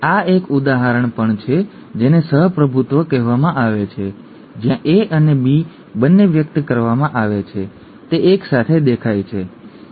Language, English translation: Gujarati, And this is also an example of what is called co dominance where both A and B are expressed are shown are showing up simultaneously, okay